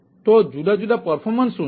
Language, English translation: Gujarati, so what are the different performance